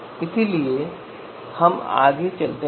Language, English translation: Hindi, So now let us move forward